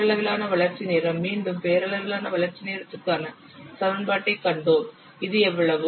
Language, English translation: Tamil, The nominal development time, again we have seen the equation for nominal development time earlier